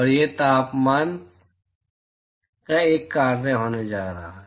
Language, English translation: Hindi, And it is going to be a function of temperature